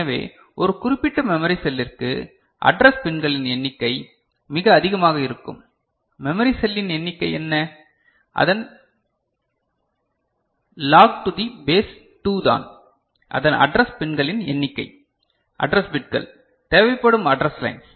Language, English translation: Tamil, So, you can expect that for a particular memory cell; the number of address pins will be quite large, because it is what about the number of memory cell; log of that to the base 2 is the number of address pins address bits, address lines that would be required